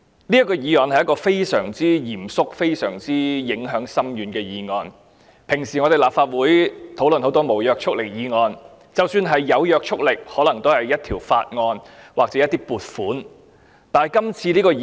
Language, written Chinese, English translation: Cantonese, 這是非常嚴肅且影響深遠的議案，以往我們在立法會討論很多無約束力議案，即使是有約束力，可能也是屬於法案或撥款的議案。, This is a solemn motion with a profound impact . We have debated many non - binding motions in this Council . Even for the binding ones they are mostly about bills or funding proposals